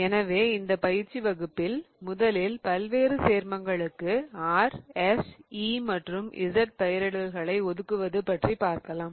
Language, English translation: Tamil, So, in this tutorial, the first question really talks about assigning R, S, E and Z kind of nomenclatures to various compounds